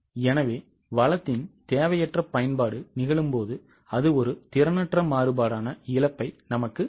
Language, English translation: Tamil, So, when unwanted use of resource happens, it gives us a loss that is an inefficiency variance